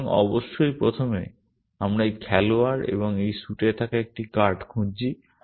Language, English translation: Bengali, So, first of course, we are looking for a card being held by this player and in this suit